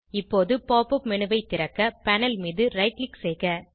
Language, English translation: Tamil, Now, right click on the panel, to open the Pop up menu